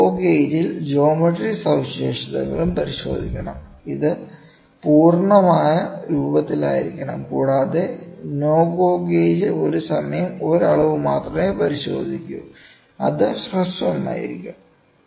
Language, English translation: Malayalam, A GO gauge should check both sides and the geometric features and that must be in full form and no GO gauge should check only one dimension at a time and it will be short